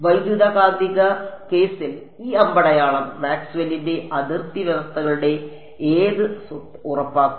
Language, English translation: Malayalam, In the electromagnetics case this arrow, it is ensuring which property of Maxwell’s boundary conditions